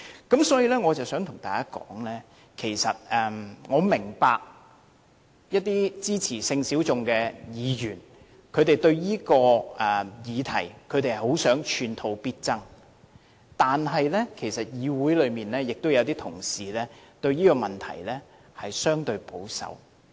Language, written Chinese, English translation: Cantonese, 因此，我想對大家說的是其實我明白一些支持性小眾的議員想就這項議題寸土必爭，但其實議會內亦有同事對這個問題相對保守。, Hence what I wish to say to Members is that I actually understand the wish of those Members backing sexual minorities to fight for every inch of progress on this issue . But in fact some Honourable colleagues of the Council are relatively conservative about this issue . Chairman let us come straight